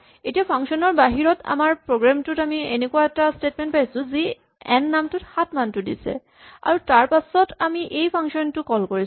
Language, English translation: Assamese, Now suppose we had in our program outside, a statement which assigned the value 7 to the name n and then we call this function